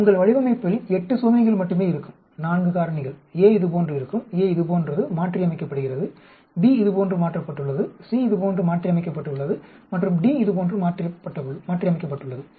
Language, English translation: Tamil, Your design will be only 8 experiments, 4 factors a will be like this, a is modified like this, b is modified like this, C is modified like this and d is modified like this